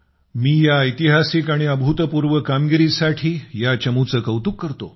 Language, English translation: Marathi, I commend the team for this historic and unprecedented achievement